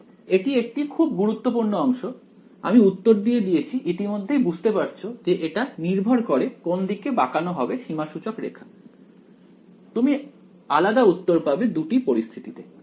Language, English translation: Bengali, So, this is this is a very very important part I have sort of given the answer of you already it matters which way you bend the contour you get different answers in both cases ok